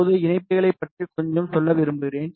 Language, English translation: Tamil, Now, I just want to tell you little bit about the connectors